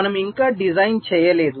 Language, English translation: Telugu, we are yet to carry out the design